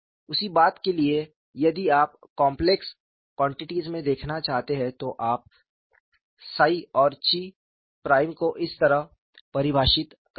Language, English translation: Hindi, For the same thing, if you want to look at in complex quantities, you define psi and chi prime like this